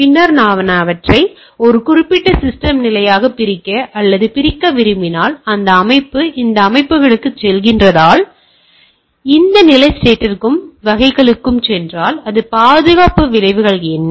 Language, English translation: Tamil, And then if I want to implement divide or partition them into particular system state, that if this system is going to this system, and this state to the state and type of things, then it is; what are the security consequences